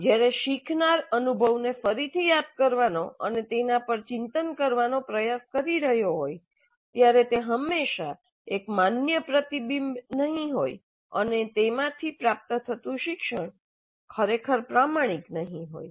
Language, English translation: Gujarati, So, when the learner is trying to recollect the experience and reflect on it, it may not be always a valid reflection and the learning that results from it may not be really authentic